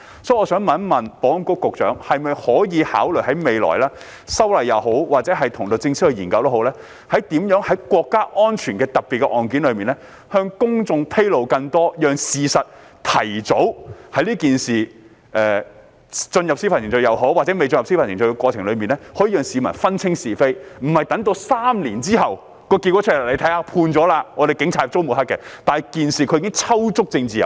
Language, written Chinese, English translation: Cantonese, 所以，我想問保安局局長可否考慮在未來修改法例也好，或與律政司研究也好，如何在涉及國家安全的特別案件中向公眾披露更多資料，讓市民在案件進入司法程序也好，或未進入司法程序也好，可以提早分清是非，而不是等待3年之後得出判決，才說警察遭人抹黑，但他們在事件中已經抽足"政治油水"。, Therefore may I ask the Secretary for Security whether he can consider amending the legislation in the future or studying with the Department of Justice on how to disclose more information to the public in special cases involving national security so that the public can distinguish right from wrong at an earlier stage before or after the commencement of judicial proceedings instead of making them wait for the judgment for three years before they were told that the Police was smeared? . Meanwhile those people would have already gained much political clout